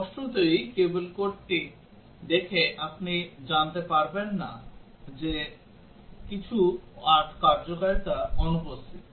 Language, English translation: Bengali, Obviously, by just looking at the code you cannot know that some functionality is missing